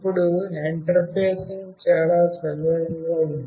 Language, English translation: Telugu, Now, the interfacing is fairly very straightforward